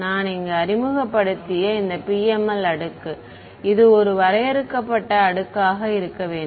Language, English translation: Tamil, I mean a even this PML layer that I have introduced over here this has to it has to be a finite layer right